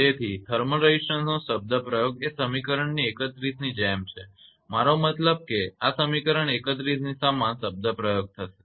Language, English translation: Gujarati, So, the expression for it is thermal resistance similar to equation 31 I mean it is same similar type of expression for this equation 31 right